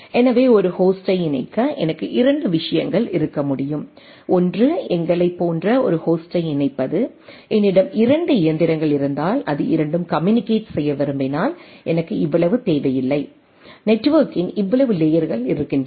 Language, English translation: Tamil, So, I can have 2 things to connect a host, one where connecting a host like we will see that if I have two machines which wants to communicate, I may not required so much, so much layers of network